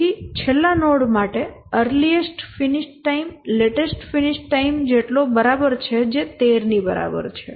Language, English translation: Gujarati, So, for the last node, the earliest finish time is equal to the latest finish time which is equal to 13